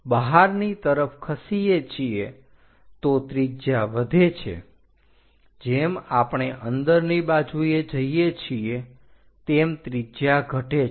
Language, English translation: Gujarati, If we are moving outside radius increases, as I am going inside the radius decreases